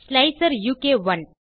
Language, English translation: Tamil, slicer u k 1